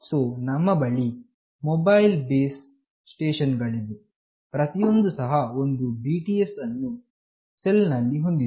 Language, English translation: Kannada, So, we have mobile stations, each of these has got one BTS in this cell